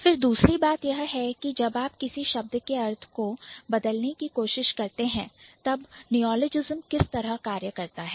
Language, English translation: Hindi, Then the second thing is how neologism works when you are trying to change the meaning of the word